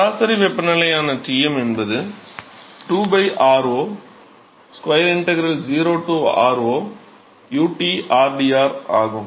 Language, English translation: Tamil, So, now, if I we know that Tm which is the average temperature is 2 by r0 square integral 0 to r0 uT rdr ok